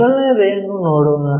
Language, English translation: Kannada, Let us look at the first one